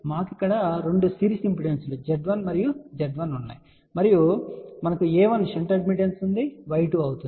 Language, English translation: Telugu, We have two series impedances Z 1 and Z 1 here and we have a 1 shunt admittance which is Y 2